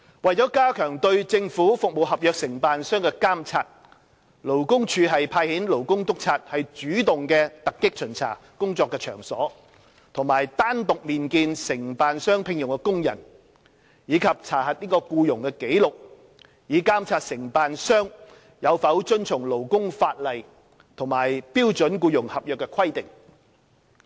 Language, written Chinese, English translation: Cantonese, 為加強對政府服務合約承辦商的監察，勞工處派遣勞工督察主動突擊巡查工作場所和單獨面見承辦商聘用的工人，以及查核僱傭紀錄，以監察承辦商有否遵從勞工法例和標準僱傭合約的規定。, To enhance monitoring of government service contractors LD will deploy labour inspectors to conduct proactive inspections of workplaces and meet workers employed by service contractors separately as well as checking the employment records to monitor service contractors compliance with labour laws and SEC